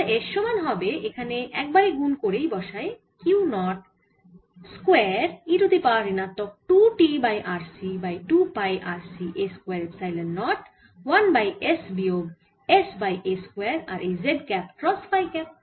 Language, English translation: Bengali, so b total will be mu naught by two pi r c q naught e to the power minus t by r c by s phi cap minus mu naught by two pi r c q naught e to the power minus t by r c s by a square phi cap